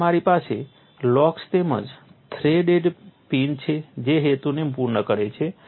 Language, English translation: Gujarati, So, you have locks as well as threaded pins that serve the purpose